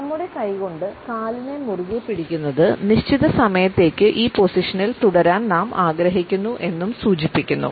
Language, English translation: Malayalam, Since the clamping of the leg with our hands suggest that we want to stay in this position for certain time